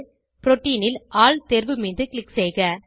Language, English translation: Tamil, Scroll down to Protein and click on All option